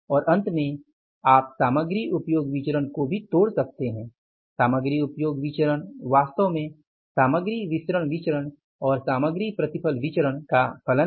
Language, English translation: Hindi, And finally you can further dissect this material usage variance also and material usage variance is basically the function of material mix variance and the material mixed variance and the material yield variance